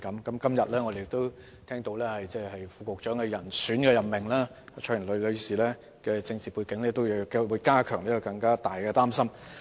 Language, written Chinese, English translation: Cantonese, 我們今天也聽到教育局副局長的人選任命是蔡若蓮女士，其政治背景也會令大家更為擔心。, Today we also hear a rumour that Dr CHOI Yuk - lin is a prospective appointee to the post of Under Secretary for Education . Her political background makes us even more worried